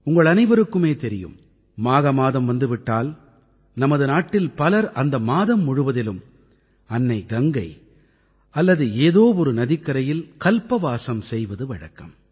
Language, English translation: Tamil, All of you are aware with the advent of the month of Magh, in our country, a lot of people perform Kalpvaas on the banks of mother Ganga or other rivers for an entire month